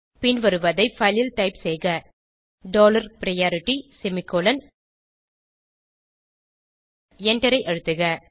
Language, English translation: Tamil, Type the following in the file dollar priority semicolon and press Enter